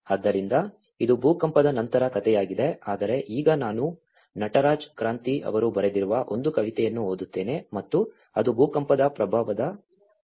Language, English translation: Kannada, So, this is the story of immediately after the earthquake but now I will just read out a poem which has been written by Natraj Kranthi and it was at the moment of the earthquake impacts